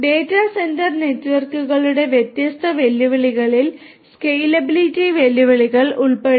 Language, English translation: Malayalam, Different challenges of data centre networks include scalability challenges